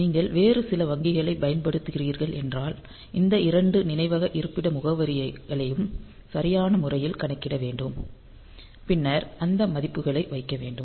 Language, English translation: Tamil, If you are using some other banks, appropriately we have to calculate these two memory location addresses and then we have to put those values